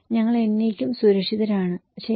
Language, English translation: Malayalam, We are safe forever, okay